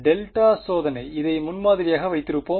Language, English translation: Tamil, Delta testing; we’ll keep this as the prototype alright